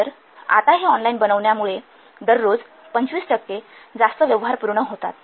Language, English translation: Marathi, So, now due to making the online, 25% more transactions are completed per day